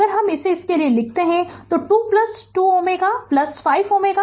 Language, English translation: Hindi, If I write it for you it is 2 plus 2 ohm plus 5 ohm plus 2 ohm